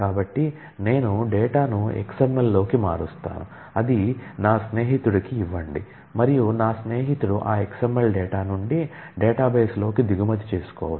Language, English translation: Telugu, So, I convert the data into XML, give it to my friend and my friend can import from that XML into the database